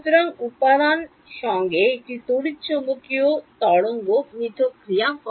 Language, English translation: Bengali, So, the interaction of an electromagnetic wave with the material is also